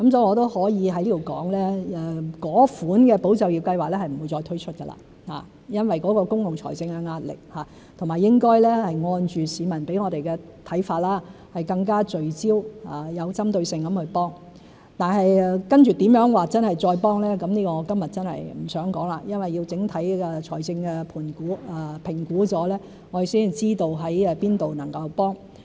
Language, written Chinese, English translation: Cantonese, 我也可以在此說明，因為公共財政的壓力，那一類"保就業"計劃是不會再推出，應該按着市民給我們的看法，更聚焦和有針對性地去提供支援；但接着如何再支援，這個我今天真的不想說，因為要評估整體財政狀況，我們才知道在哪方面能支援。, I would also like to take this opportunity to explain that due to the pressure on public finance that type of ESS will not be launched again . We should provide support in a more focused and targeted manner in response to public opinions but I do not wish to talk about the further support here because we have to assess the overall financial situation before we know the areas in which support should be provided